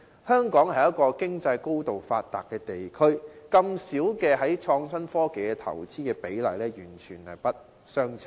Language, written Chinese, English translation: Cantonese, 香港是一個經濟高度發達的地區，在創新科技方面的投資比例這麼低，兩者完全不相稱。, Hong Kong is highly developed economically but the amount of our investment in innovation and technology is disproportionately low